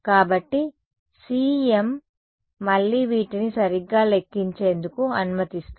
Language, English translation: Telugu, So, CEM again allows us to calculate these exactly ok